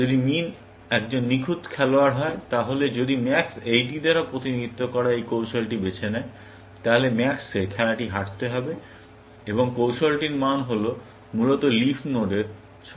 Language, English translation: Bengali, If min is a perfect player, then if max chooses this strategy represented by this tree, then max will end up losing the game, and the value of the strategy is the lowest value of the leaf nodes, essentially